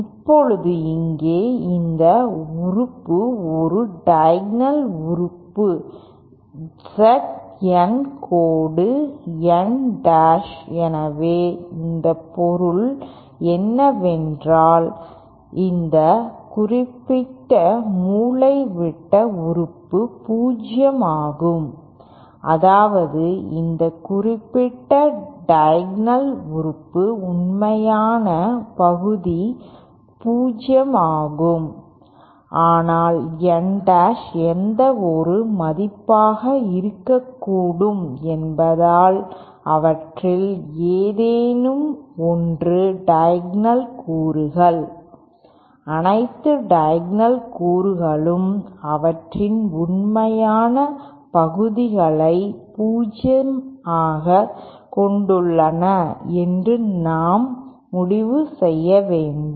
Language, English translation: Tamil, Now here this element is a diagonal element Z N dash N dash so what it means is that this particular diagonal element is 0, that is the real part of this particular diagonal element is 0 but then since N dash can be any value any one of those diagonal elements, we have to conclude that all diagonal elements have their real parts as 0